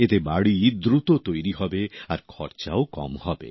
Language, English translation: Bengali, By this, houses will get built faster and the cost too will be low